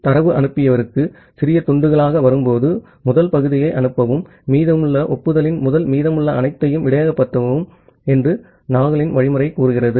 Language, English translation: Tamil, The Nagle’s algorithm tells that, when the data come into the sender in small pieces, just send the first piece and buffer all the rest until the first piece of acknowledgement